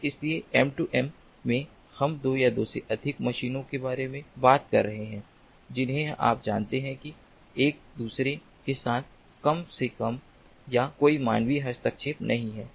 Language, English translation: Hindi, so in m two m we are talking about two or more machines, you know, communicating with one another with minimal or no human intervention at all